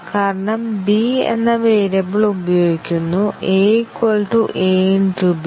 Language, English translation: Malayalam, Because, it was using the variable b; a is equal to a into b